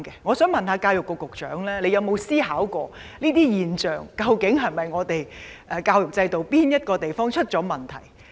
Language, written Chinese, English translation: Cantonese, 我想問，教育局局長有否想過，出現這類現象是否因為我們的教育制度出了問題？, I would like to ask the Secretary for Education whether he has ever thought that such phenomena are caused by the problems with our education system